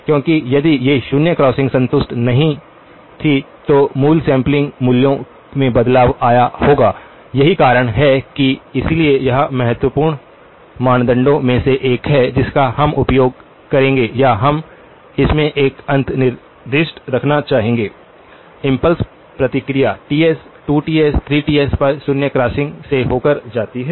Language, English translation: Hindi, Because if these zero crossings were not satisfied, then the original sample values would have gotten altered, so that is the reason why, so this is the one of the important criteria that we will use or we would like to have an insight into, that the impulse response goes through zero crossings at Ts, 2Ts, 3Ts